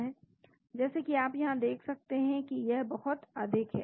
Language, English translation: Hindi, As you can see here it goes very high